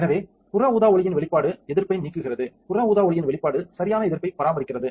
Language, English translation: Tamil, So, exposure to UV light remove resist, exposure to UV light maintains resist right